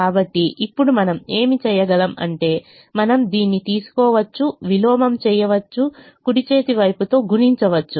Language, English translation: Telugu, so now what you can do is you can take this, invert this, multiply with the right hand side